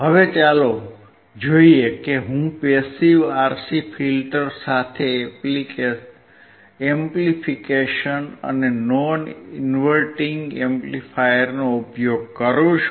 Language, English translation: Gujarati, Now, let us see if I use, a non inverting amplifier for the amplification along with the passive RC filter